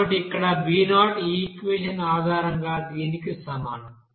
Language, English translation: Telugu, So we can write here b0 is equal to here this based on this equation